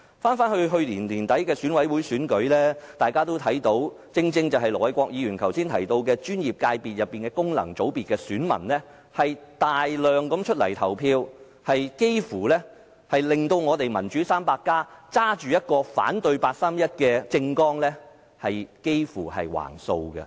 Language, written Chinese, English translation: Cantonese, 回顧去年年底的選舉委員會選舉，大家都看到的，正正是盧偉國議員剛才提到的專業界別、功能界別的選民踴躍投票，有關界別的議席幾乎被手持"反對八三一決定"政綱的"民主 300+" 囊括。, Looking back at the Election Committee subsector elections held at the end of last year we could see the active voting by electors for professional sectors and functional constituencies which led to the Democracy 300 whose political manifesto is against the 31 August Decision winning a majority seats in the respective sectors as mentioned by Ir Dr LO Wai - kwok earlier